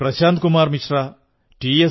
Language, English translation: Malayalam, Shri Prashant Kumar Mishra, Shri T